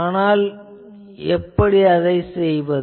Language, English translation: Tamil, So, how to do that